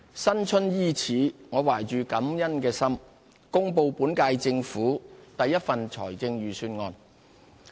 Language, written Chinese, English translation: Cantonese, 新春伊始，我懷着感恩的心，公布本屆政府第一份財政預算案。, At the start of the Chinese New Year I deliver the first Budget of the current - term Government with a thankful heart